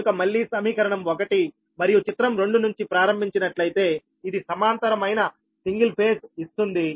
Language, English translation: Telugu, so, again, starting from equation one and figure two, that means this: one gives the single phase equivalent